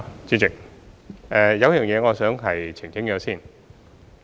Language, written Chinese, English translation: Cantonese, 主席，有一點我想先作澄清。, Chairman I would like to make some clarifications first